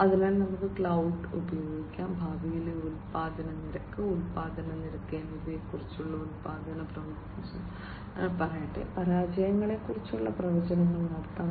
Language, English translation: Malayalam, So, we could use cloud, and we can come up with different predictions about let us say production predictions about the future production rate, production rate, we can have predictions about failures